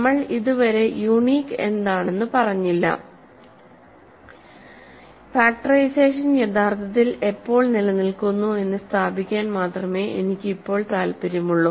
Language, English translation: Malayalam, We are not yet coming to uniqueness I am currently only interested in establishing when factorization actually exists